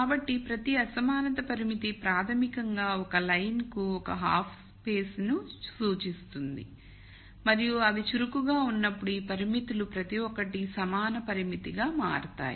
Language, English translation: Telugu, So, each inequality constraint is basically representing one half space for a line and when they become active each of these constraints become an equality constraint each of them become line